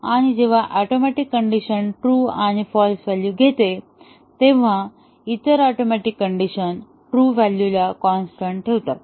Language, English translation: Marathi, And, when an atomic condition takes true and false value, the other atomic condition truth values are to be held constant